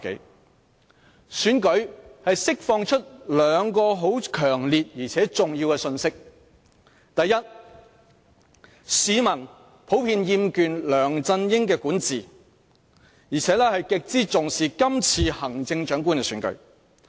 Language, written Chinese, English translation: Cantonese, 是次選舉釋放出兩個很強烈而重要的信息：第一，市民普遍厭倦梁振英的管治，而且極之重視今次行政長官的選舉。, Two important messages were forcefully conveyed by the current election . First people in general have grown tired of the governance by LEUNG Chun - ying and thus attach great importance to the forthcoming Chief Executive election